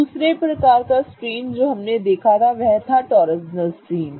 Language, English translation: Hindi, The other type of strain that we had looked at was the torsional strain